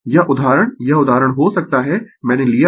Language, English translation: Hindi, This example this can be example I have taken